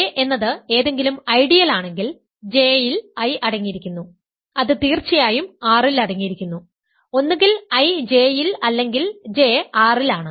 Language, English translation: Malayalam, The second condition is I, if J is any ideal such that I is contained J which is contained in R of course, then either I is J or J is R ok